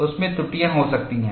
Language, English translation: Hindi, There could be errors in that